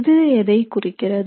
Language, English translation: Tamil, Now what does that mean